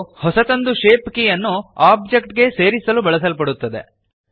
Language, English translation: Kannada, This is used to add a new shape key to the object